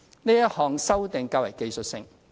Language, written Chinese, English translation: Cantonese, 這項修訂較為技術性。, The provisions are rather technical